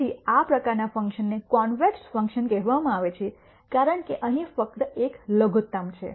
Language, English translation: Gujarati, So, functions of this type are called convex functions because there is only one minimum here